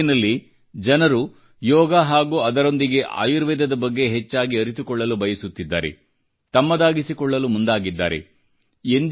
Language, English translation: Kannada, People everywhere want to know more about 'Yoga' and along with it 'Ayurveda' and adopt it as a way of life